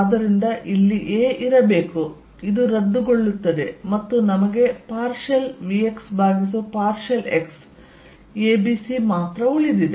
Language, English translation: Kannada, So, there should be in a here, this cancels and we are left with partial v x by partial x a b c